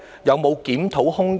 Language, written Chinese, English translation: Cantonese, 有否檢討空間？, Is there any room for review?